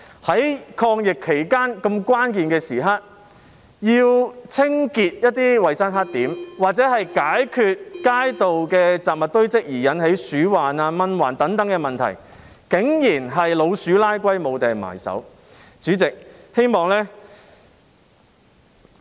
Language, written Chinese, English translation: Cantonese, 在抗疫期間這個關鍵時刻，要清潔一些衞生黑點或解決街道的雜物堆積而引起鼠患、蚊患等問題，竟然是"老鼠拉龜"，無從入手。, At this critical moment of fighting the virus it is disappointing to realize the lack of means in cleaning up some hygiene black spots or resolving the mosquito and rodent problems arising from the piles of junk in the streets